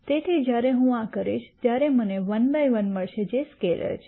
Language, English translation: Gujarati, So, when I do this I will get one by one which is a scalar